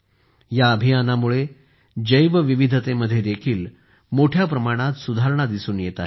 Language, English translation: Marathi, A lot of improvement is also being seen in Biodiversity due to this campaign